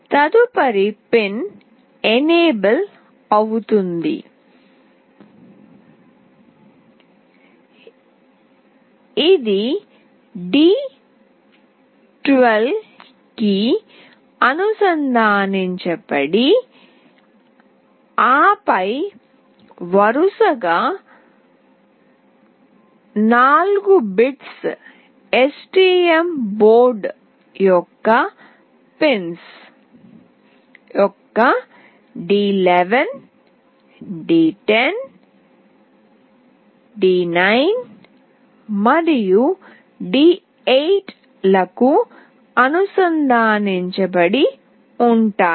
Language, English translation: Telugu, The next pin is enable which is connected to d12 and then the consecutive 4 bits are connected to d11, d10, d9 and d8 of the pins of STM board